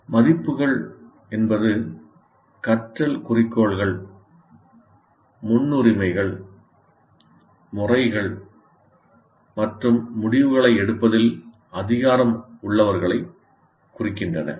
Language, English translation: Tamil, Now the values refer to learning goals, priorities, methods, and who has the power in making decisions